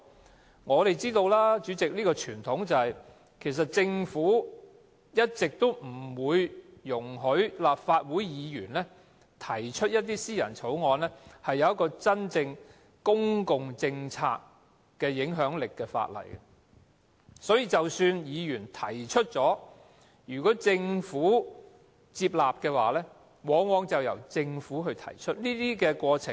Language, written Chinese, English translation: Cantonese, 主席，我們也知道，傳統上，政府一直不會容許立法會議員提出一些真正對公共政策有影響力的私人法案；即使議員提出，如果政府接納，往往便由政府提出。, President we all know from history that the Government will never permit Members to put forward any Members Bills which will produce substantial impact on public policies . Even if the Government happens to buy any such bills it will always seek to put them forward itself